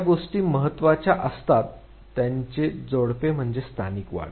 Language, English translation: Marathi, Couples of things which are also important are factors like local enhancement